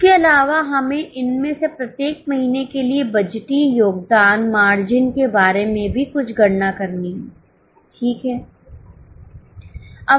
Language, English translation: Hindi, Further, we are also to make some calculation about budgeted contribution margin for each of these months